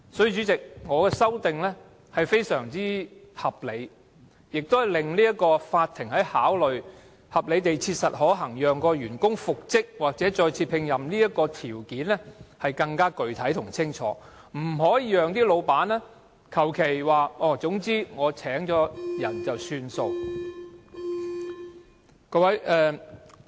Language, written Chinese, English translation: Cantonese, 因此，主席，我的修正案非常合理，亦令法院考慮合理地切實可行讓員工復職或再次聘任的條件更具體及清楚，不會容許僱主推說已另聘員工便算。, Chairman my amendments are highly reasonable giving more specific and detailed description of the factors to be considered by the court in deciding whether reinstatement or re - engagement of the employee is reasonably practicable . Moreover the employer cannot refuse to reinstate or re - engage the employee on the pretext of having engaged a replacement